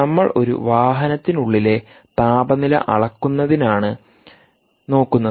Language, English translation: Malayalam, so why do you want to measure the temperature inside an automobile